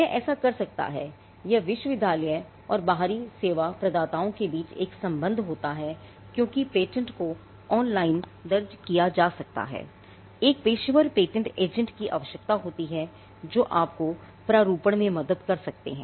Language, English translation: Hindi, It can do it or it is a connection between the university, the people who work in the university and the external service providers because, the patent do it can be filed online requires a patent agent it requires professionals who can help you and drafting